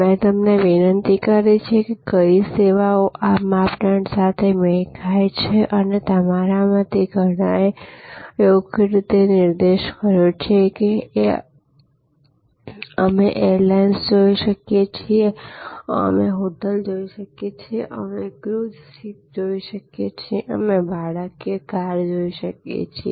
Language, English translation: Gujarati, I requested you to think about, what services can match these criteria and as many of you have rightly pointed out, we can look at airlines, we can look at hotels, we can look at cruise ships, we can look at car rentals, car rental services